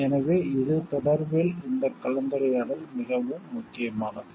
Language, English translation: Tamil, So, this in this connection this discussion becomes very important